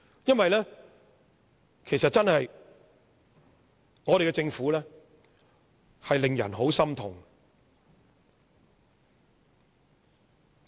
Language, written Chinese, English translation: Cantonese, 因為我們的政府真的令人很心痛。, It is because the Government is really acting in a heart - rending manner